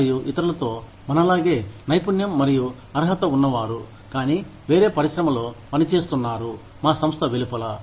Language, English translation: Telugu, And, with others, who are as skilled and qualified as us, but are working in a different industry, outside our organization, completely